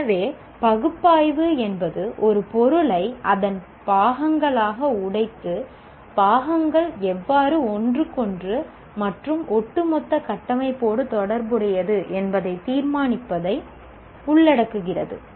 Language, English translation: Tamil, So, analyze involves breaking material into its constituent parts and determining how the parts are related to one another and to an overall structure